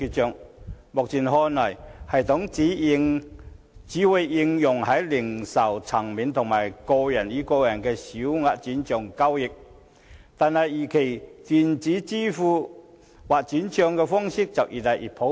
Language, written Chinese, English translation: Cantonese, 從目前看來，這系統只會應用於零售層面和個人與個人之間的小額轉帳，但我們預期電子支付或轉帳的方式會越來越普遍。, In view of the present situation this system will only apply to small fund transfers at the retail level and between peers but we expect electronic payment or transfers will become increasingly popular